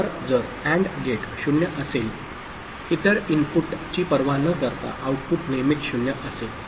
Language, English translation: Marathi, So, if AND gate 0 is there then irrespective of the other input, the output will always be 0